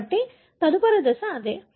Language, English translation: Telugu, So, that is what the next step is